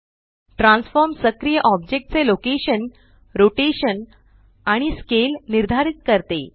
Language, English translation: Marathi, Transform determines the location, rotation and scale of the active object